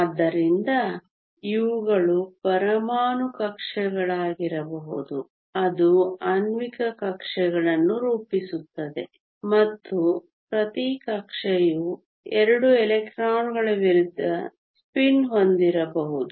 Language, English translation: Kannada, So, these could be atomic orbitals which come together to form molecular orbitals and each orbital can have 2 electrons of opposite spin